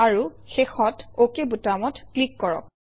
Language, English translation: Assamese, And finally click on the OK button